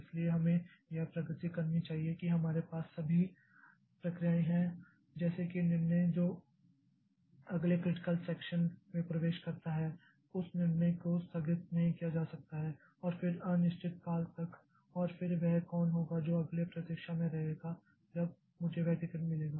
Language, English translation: Hindi, That is all processes that we have the decision like who next enters into the critical section, that decision cannot be postponed and then indefinitely and then who will be waiting next, who will be when will I get the ticket so that decision cannot also be postponed